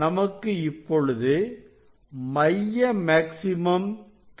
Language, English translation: Tamil, it is coming closer to the central maxima